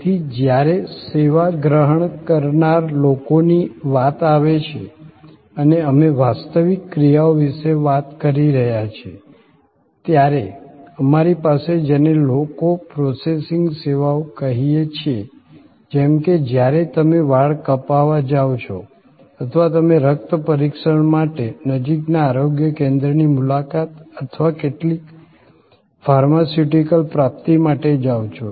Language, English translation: Gujarati, So, when it comes to people as recipient of service and we are talking about tangible actions, then we have what we call people processing services like when you go for a hair cut or you go and visit the nearest health centre for some blood test or some pharmaceutical procurement